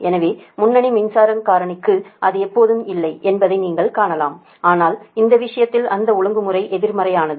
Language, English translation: Tamil, right so for leading power factor, you can see that it is not always, but in this case that regulation is negative, right so